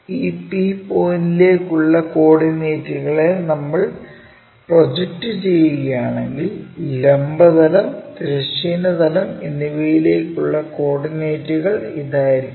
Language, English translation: Malayalam, If we are projecting the coordinates for this P point onto our vertical plane and horizontal plane the coordinates will be this one which is P here and if I am projecting this will be p'